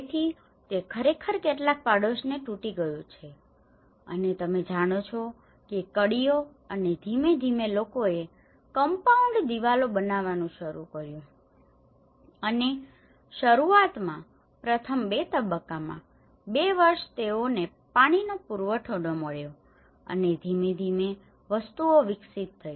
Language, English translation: Gujarati, So that has actually broken certain neighbourhood you know linkages and gradually people started in making the compound walls and initially in the first two stages, two years they were not having proper water supply and gradually things have developed